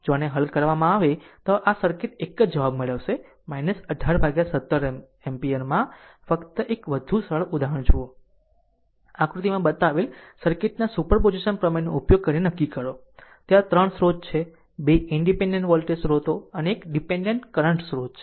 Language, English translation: Gujarati, If you solve this one this circuit you will get the same answer minus 18 upon 17 ampere right just one here see one more simple example, determine i using superposition theorem of the circuit shown in figure; there are 3 sources 2 independent voltage sources one independent current sources right